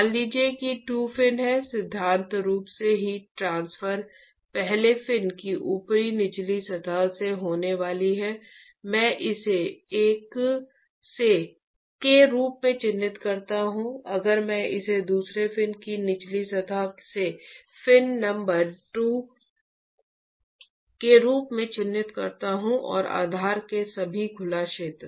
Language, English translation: Hindi, Supposing there are 2 fins, in principle the heat transfer is going to occur from the top bottom surface of the first fin, if I mark this as 1, if I mark this as fin number 2 from top bottom surface of the second fin and from the all the exposed area of the base itself right